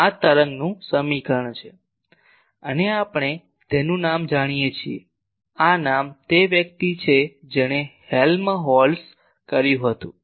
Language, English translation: Gujarati, This is wave equation and we know its name this name the first person who did it the Helmholtz